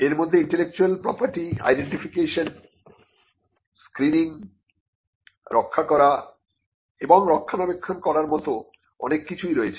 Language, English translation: Bengali, It includes many things like identifying intellectual property, screening intellectual property, protecting intellectual property, maintaining IP as well